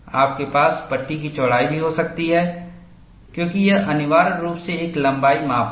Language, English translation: Hindi, You could also have the width of the panel, because it is essentially a length measure